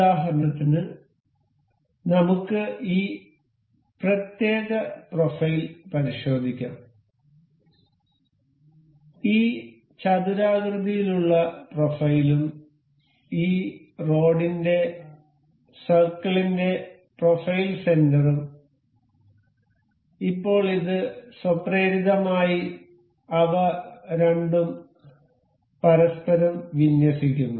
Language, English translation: Malayalam, For instance, let us just check this particular profile; this rectangular profile and the say this is a circle of this rod in the profile center, now it automatically aligns the two of them to each other